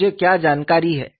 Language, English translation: Hindi, What is the information that I know